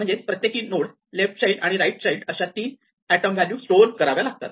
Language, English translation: Marathi, So, each node now consist of three items the value being stored the left child and the right child